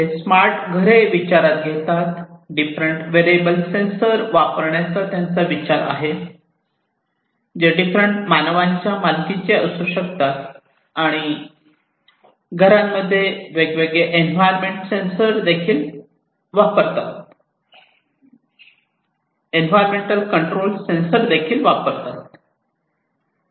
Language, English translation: Marathi, They consider the smart homes, they consider the use of different wearable sensors, which could be owned by different humans, and also the use of different environment control sensors at homes